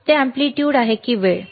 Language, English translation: Marathi, Iis it amplitude or time